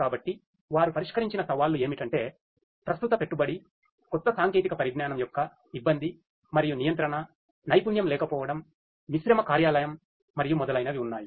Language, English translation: Telugu, So, the challenges that they have addressed are that there is existing investment, risk and regulation of new technology, lack of skill, mixed workplace, and so on